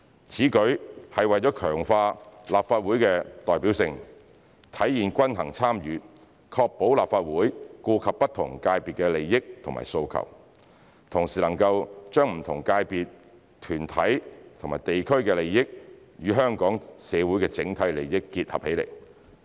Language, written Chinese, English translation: Cantonese, 此舉是為了強化立法會的代表性，體現均衡參與，確保立法會顧及不同界別的利益和訴求，同時能夠將不同界別、團體和地區的利益與香港社會的整體利益結合起來。, This initiative will strengthen the representativeness of the Legislative Council demonstrate the principle of balanced participation and ensure that the Legislative Council will take into account the interests and demands of different sectors on the one hand and integrate the interests of different sectors bodies and districts with the overall interests of the Hong Kong society on the other